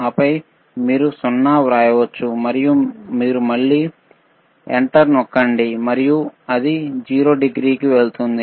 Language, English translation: Telugu, Suppose you want to reset it back to 0, then you can just write 0, 0, and you can again press enter, and it goes to 0 degree